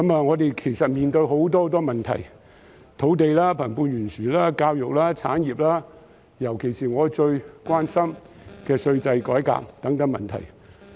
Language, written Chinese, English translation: Cantonese, 我們其實面對很多問題：土地、貧富懸殊、教育、產業，以及尤其是我最關心的稅制改革等問題。, In fact we are facing many problems land wealth gap education industries and tax reform about which I am particularly concerned